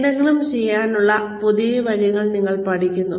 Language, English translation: Malayalam, You learn new ways of doing something